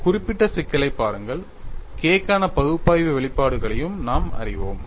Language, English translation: Tamil, See for this specific problem, we also know analytical expression for K what is the analytical expression for K